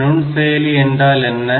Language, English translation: Tamil, So, what is a microprocessor